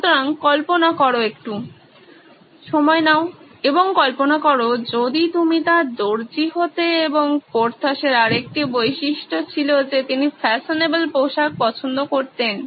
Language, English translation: Bengali, So imagine, take a moment and imagine if you are his tailor and by the way another characteristic that Porthos had was that he loved fashionable clothes